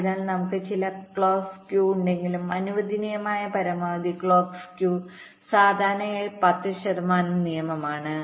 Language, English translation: Malayalam, so so, although we can have some clock skew, but maximum allowable clock skew is typically, as a rule of thumb, ten percent